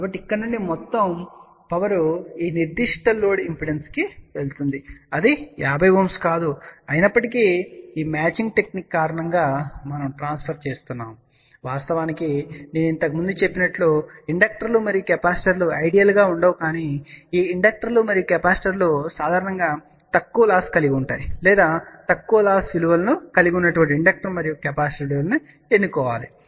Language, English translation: Telugu, So, from here all the power will go to this particular load impedance which is not 50 Ohm, yet because of this matching technique, we have transferring of course, as I mentioned earlier inductors and capacitors are not going to be ideal but I did mention that these inductors and capacitors have generally low losses or at least chose inductor and capacitor which have a low loss values